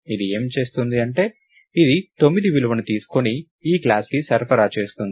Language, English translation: Telugu, What this will do is, it will take the value 9 and supply that to this class